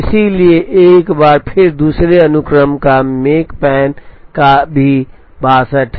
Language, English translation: Hindi, So once again the makespan for the second sequence is also 62